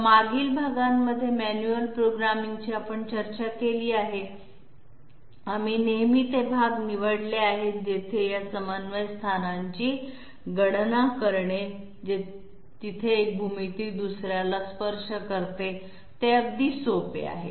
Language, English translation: Marathi, So in the previous parts that we have discussed for manual programming, we have always selected those parts where computation of these coordinate locations where one geometry touches the other, the computation of these parts is very simple